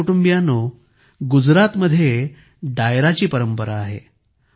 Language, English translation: Marathi, My family members, there is a tradition of Dairo in Gujarat